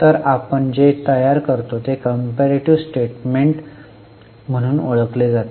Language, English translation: Marathi, So, what we prepare is known as a comparative statement